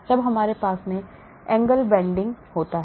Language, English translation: Hindi, then we have the angle bending